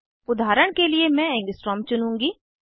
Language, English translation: Hindi, For example, I will choose Angstrom